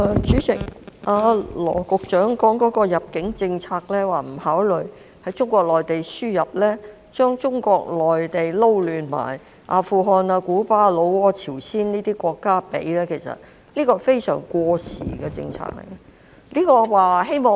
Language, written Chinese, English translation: Cantonese, 主席，羅局長提到基於入境政策而不考慮從中國內地輸入家庭傭工，並將中國內地與阿富汗、古巴、老撾、朝鮮等國家混為一談，這是非常過時的政策。, President Secretary Dr LAW mentioned that owing to the immigration policy the importation of domestic helpers from the Mainland of China will not be considered and he has lumped together the Mainland of China Afghanistan Cuba Laos and the Democratic Peoples Republic of Korea . This is a very outdated policy